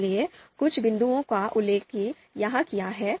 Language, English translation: Hindi, So few points are mentioned here